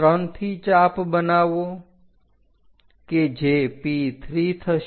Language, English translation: Gujarati, From 3 make an arc which will be at P3